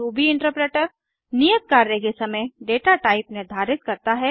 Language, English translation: Hindi, Ruby interpreter determines the data type at the time of assignment